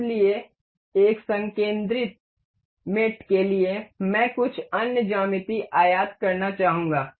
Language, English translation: Hindi, So, for concentric mate I would like to import some other geometry